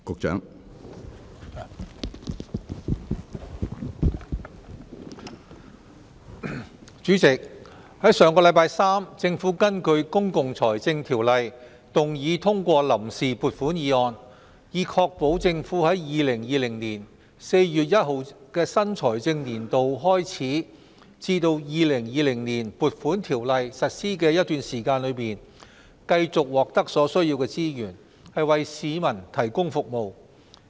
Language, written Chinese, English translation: Cantonese, 主席，在上星期三，政府根據《公共財政條例》動議通過臨時撥款議案，以確保政府在2020年4月1日的新財政年度開始至《2020年撥款條例草案》實施的一段時間，繼續獲得所需資源，為市民提供服務。, President last Wednesday the Government moved that the Vote on Account Resolution under the Public Finance Ordinance be passed in order to enable the Government to obtain the necessary resources for the provision of public services between the commencement of the financial year on 1 April 2020 and the implementation of the Appropriation Bill 2020